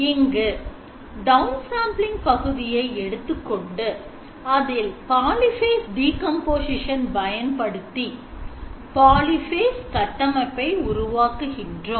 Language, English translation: Tamil, So what have we done we have taken our down sampling part applied the polyphase decomposition and obtain the polyphase implemented structure and of course the up sampling still remains